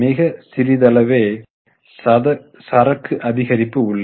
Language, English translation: Tamil, There is a slight increase in inventory